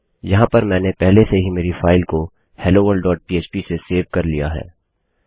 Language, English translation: Hindi, Now, Ive already saved my file as helloworld.php